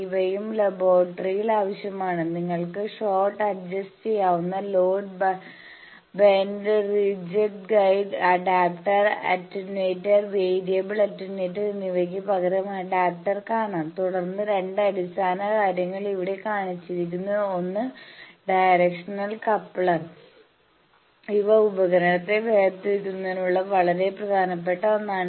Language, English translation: Malayalam, These are also required in laboratory you can see adjustable short adjustable load, bend, ridge guide, adapter instead of power that attenuator, variable attenuator then there are two fundamental things have seen shown here one is a directional coupler; which is very important actually this is the basis for separating these device can separate the a forward wave and reflected wave